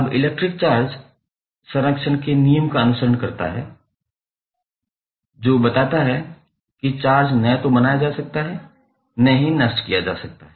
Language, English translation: Hindi, Now, the electric charge follows the law of conservation, which states that charge can neither be created nor can be destroyed